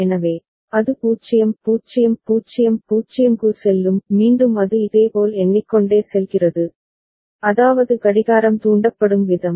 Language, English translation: Tamil, So, that it goes to 0 0 0 0; again it goes on counting similarly, I mean the way the clock gets triggered